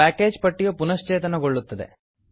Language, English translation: Kannada, The package list will get refreshed